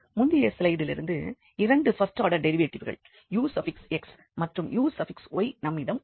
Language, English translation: Tamil, So, we from the previous slide we have these two first order derivatives ux and uy